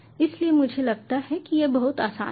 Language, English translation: Hindi, so this is fairly simple to understand